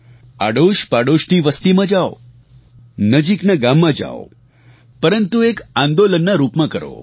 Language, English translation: Gujarati, Go to settlements in your neighborhood, go to nearby villages, but do this in the form of a movement